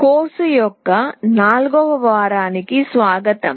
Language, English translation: Telugu, Welcome to week 4 of the course